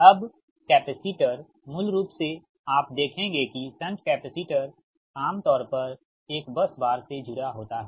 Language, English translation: Hindi, now, capacitors, basically you will find shunt capacitors is generally connected to a bus bar